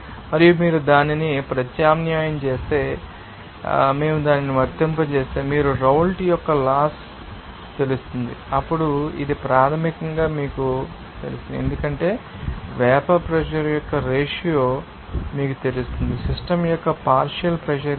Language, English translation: Telugu, And if you substitute that, you know, if we apply that, you know, Raoult’s law, then we can say that this will be basically as you know that ratio of vapour pressure to that, you know, to partial pressure of the system